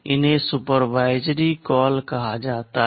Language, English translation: Hindi, These are called supervisory calls